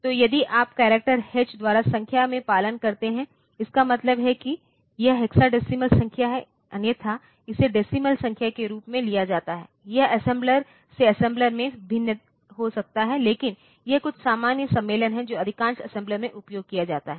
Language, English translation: Hindi, So, if you follow in number by the character H; that means, it is hexadecimal number otherwise it is taken as a decimal number of course, it can vary from assembler to assembler, but this is some common convention that is used in most of the assemblers